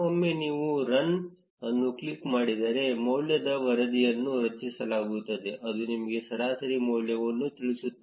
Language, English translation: Kannada, Once you click on run, there will be a degree report generated, which will tell you the average degree